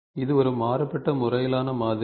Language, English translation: Tamil, So, this is a variant method of modeling